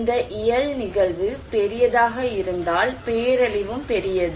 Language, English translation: Tamil, If this physical event is bigger, disaster is also big